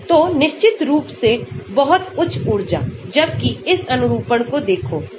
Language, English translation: Hindi, So, definitely very high energy, whereas look at this conformation , 2